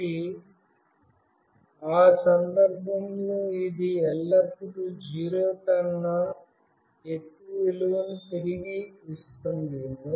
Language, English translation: Telugu, So, in that case, it will always return a value greater than 0